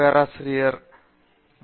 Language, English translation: Tamil, Thank you Prof